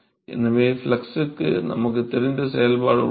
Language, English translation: Tamil, And so, we have a known function for the flux